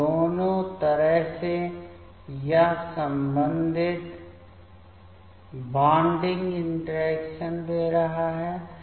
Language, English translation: Hindi, So, both way it is giving the corresponding bonding interaction